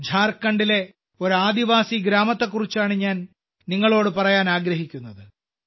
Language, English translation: Malayalam, I now want to tell you about a tribal village in Jharkhand